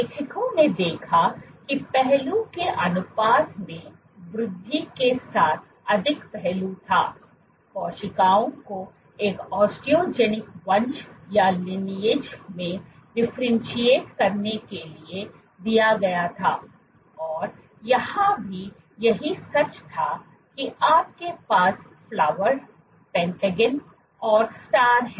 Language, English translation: Hindi, What the authors observed was more aspect with increasing aspect ratio the cells tended to differentiate into an osteogenic lineage and same was true here you have the Flower, Pentagon and Star